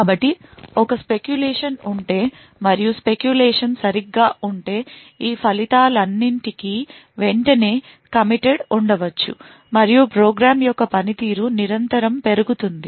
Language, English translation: Telugu, So does we see that if there is a speculation and the speculation is correct then of all of these results can be immediately committed and the performance of the program would increase constantly